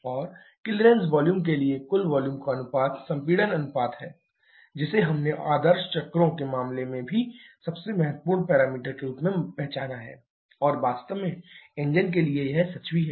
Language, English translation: Hindi, And the ratio of total volume to the clearance volume is the compression ratio, which we have already identified as a most important parameter even in case of ideal cycles, and the same is true for really engine as well